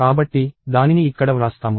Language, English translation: Telugu, So, I am going to write